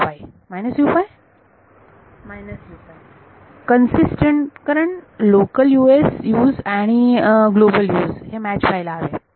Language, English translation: Marathi, Consistent because the local Us and the global Us have to match